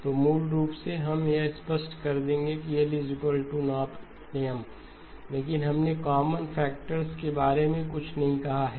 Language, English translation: Hindi, So basically we will make it clear that L is not equal to M, but we have not said anything about common factors